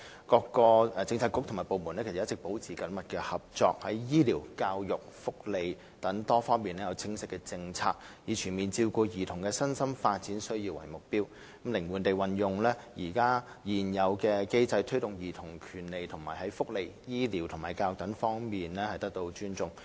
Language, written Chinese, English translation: Cantonese, 各政策局和部門一直保持緊密合作，在醫療、教育及福利等多方面有清晰的政策，以全面照顧兒童的身心發展需要為目標，靈活地運用現時的機制推動兒童權利在福利、醫療及教育等各方面得到尊重。, All along various Policy Bureaux and departments have maintained close cooperation and formulated clear policies in various areas such as health care education and welfare benefits with the objective of comprehensively meeting childrens physical and mental development needs while also promoting respect for childrens rights in welfare benefits health care education and so on with the flexible use of existing mechanisms